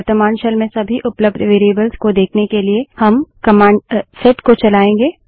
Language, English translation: Hindi, To see all the variables available in the current shell , we run the command set